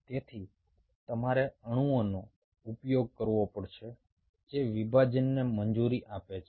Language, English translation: Gujarati, so you have to use molecules which allows the division, and then you have to